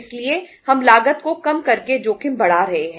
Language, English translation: Hindi, So we are increasing the risk by reducing the cost